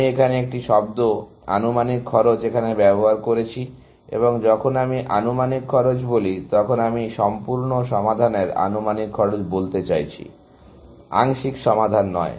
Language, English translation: Bengali, I used a term estimated cost here, and when I say estimated cost, I mean the estimated cost of the full solution; not the partial solution